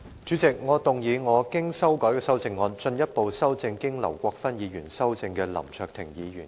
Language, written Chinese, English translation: Cantonese, 主席，我動議我經修改的修正案，進一步修正經劉國勳議員修正的林卓廷議員議案。, President I move that Mr LAM Cheuk - tings motion as amended by Mr LAU Kwok - fan be further amended by my revised amendment